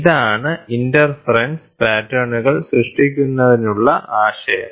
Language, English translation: Malayalam, So, this is the concept for creating interference patterns